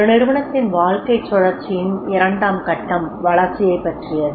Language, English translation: Tamil, Second phase of the life cycle of an organization and that is about the growth